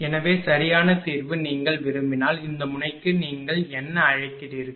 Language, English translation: Tamil, So, and exact solution if you want then for this your what you call for this node